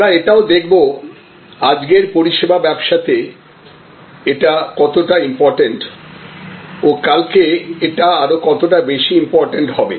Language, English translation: Bengali, And we will see, how important it is for services business today and how more important it will be in services business of tomorrow